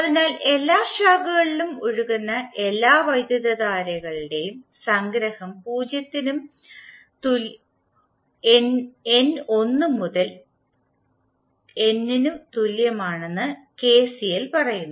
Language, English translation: Malayalam, So KCL says that the summation of all the currents flowing in the branch, in all the branches is equal to 0 and the in that is the subscript for current is varying from n is equal to 1 to N